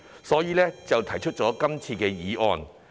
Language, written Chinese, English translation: Cantonese, 因此，政府便提出這項議案。, Thus the Government has introduced this resolution